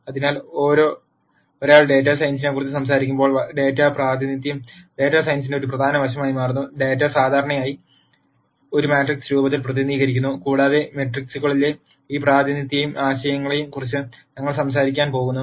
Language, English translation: Malayalam, So, when one talks about data science, Data Representation becomes an im portant aspect of data science and data is represented usually in a matrix form and we are going to talk about this representation and concepts in matrices